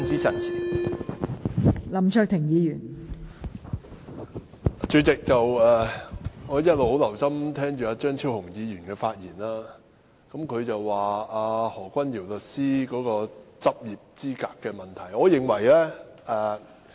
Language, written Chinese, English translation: Cantonese, 代理主席，我一直很留心聆聽張超雄議員的發言，他說何君堯議員的律師執業資格有問題。, Deputy President I have all along listened very carefully to the remarks made by Dr Fernando CHEUNG . He said that Dr Junius HOs qualification to practise as a solicitor is questionable